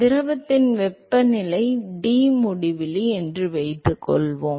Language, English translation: Tamil, Let us assume that the temperature of the fluid is Tinfinity